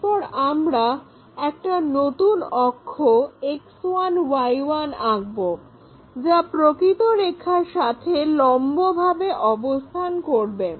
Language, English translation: Bengali, Now, we have to draw X 1, Y 1 parallel to this true line